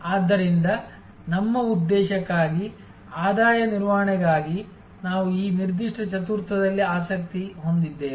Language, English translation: Kannada, So, for our purpose, for the revenue management we are interested in this particular quadrant